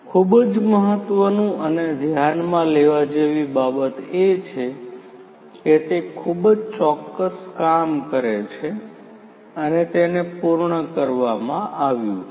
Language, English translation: Gujarati, So, what is very important is to notice that it is a very precise job that has to be done